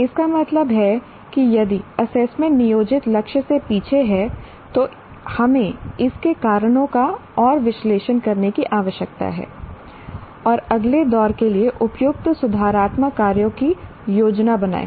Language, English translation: Hindi, That means if the assessment lacks behind the plan target, we need to further analyze the reasons and for the same and plan suitable corrective actions for the next room